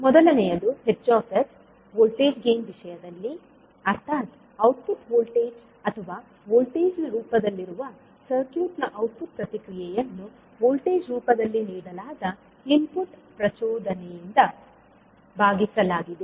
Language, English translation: Kannada, First is H s in terms of voltage gain where you correlate the output voltage that is output response of the circuit in terms of voltage divided by input excitation given in the form of voltage